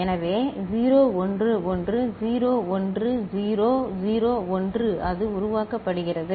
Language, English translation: Tamil, So, 0 1 1 0 1 0 0 1 it will it is getting generated